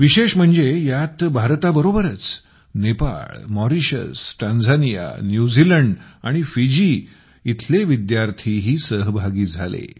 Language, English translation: Marathi, The special element in that was along with India, students from Nepal, Mauritius, Tanzania, New Zealand and Fiji too participated in that activity